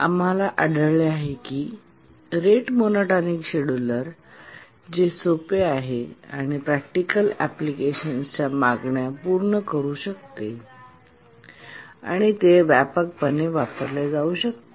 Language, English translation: Marathi, And we found that the rate monotonic scheduler is the one which is simple and it can meet the demands of the practical applications and that's the one which is actually used widely